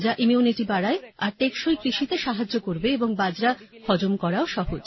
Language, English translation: Bengali, Which increases immunity and helps in sustainable farming and is also easy to digest